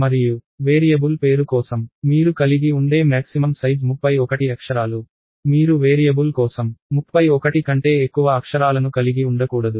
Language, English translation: Telugu, And the maximum size, that you can have for a variable name is 31 letters, you cannot have more than 31 letters for a variable